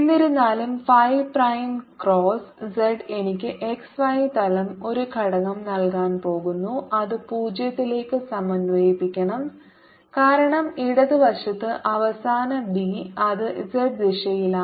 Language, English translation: Malayalam, however, phi prime cross z is going to give me a component in the x y plane and that should integrate to zero because final b on the left hand side it is in the z direction